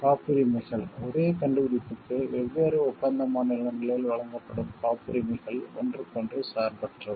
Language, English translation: Tamil, Patents; patents granted in different contracting states for the same invention are independent of each other